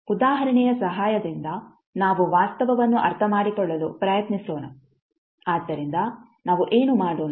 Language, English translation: Kannada, We will try to understand the fact with the help of an example, so what we will do